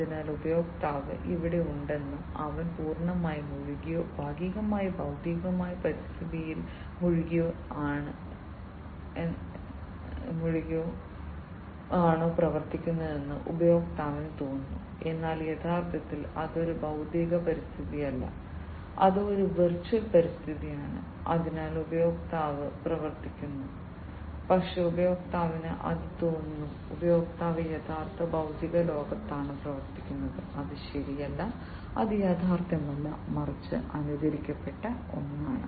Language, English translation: Malayalam, So, user feels that the user is there and he is operating completely immersed or partially immersed in the physical environment, but actually it is not a physical environment, it is a virtual environment, in which the user is operating, but the user feels that the user is operating in the real physical world, which is not correct which is not the real one, but a simulated one